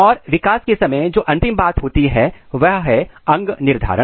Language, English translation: Hindi, And the final thing what happens in the development is organ determinacy